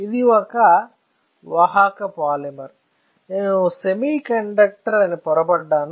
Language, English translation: Telugu, So, this is a conducting polymer that is why I was confused with a semiconductor